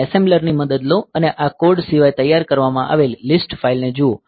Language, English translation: Gujarati, So, you take help of assembler and do look into the list file that is produced apart from this code